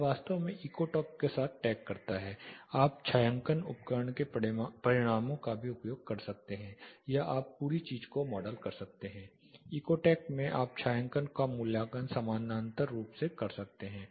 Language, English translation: Hindi, It actually tags along with Ecotect you can also use the shading tool results or you can model the whole thing in Ecotect you can do the shading assessment parallel